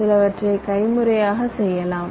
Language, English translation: Tamil, some of the steps we could have done manually